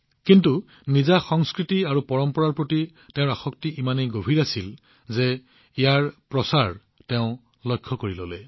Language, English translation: Assamese, But, his attachment to his culture and tradition was so deep that he made it his mission